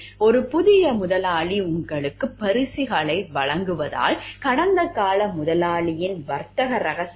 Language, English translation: Tamil, Because a new employer may be giving you gifts, may be giving you bribes to understand the trade secret of the past employer